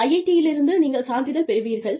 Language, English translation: Tamil, You will get a certificate from IIT